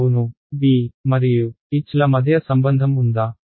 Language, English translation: Telugu, Yes; is there a relation between B and H